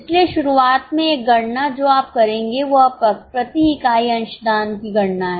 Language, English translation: Hindi, So, one calculation you will do in the beginning is compute the contribution per unit